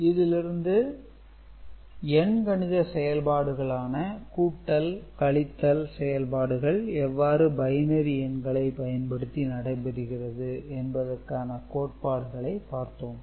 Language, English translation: Tamil, So, we have understood the theory behind the arithmetic operation addition, subtraction operation using binary numbers